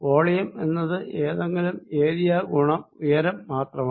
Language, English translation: Malayalam, a volume element is nothing but some area times the height